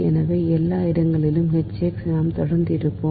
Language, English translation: Tamil, so everywhere h x, we will remain constant